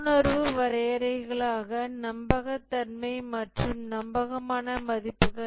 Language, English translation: Tamil, Intuitive definitions, trustworthiness, dependability